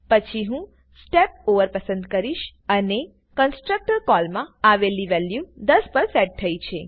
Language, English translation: Gujarati, Then I can choose Step Over and see that the value came inside the constructor call is now set to 10